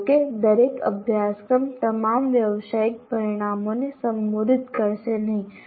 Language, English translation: Gujarati, Not every course will address all these professional outcomes, at least some of them